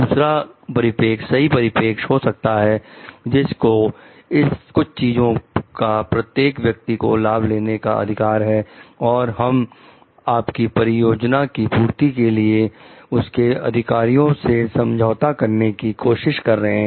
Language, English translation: Hindi, Another perspective could be the right perspective every people have the right to enjoy certain things and whether, we are trying to compromise on their rights in order to get your projects done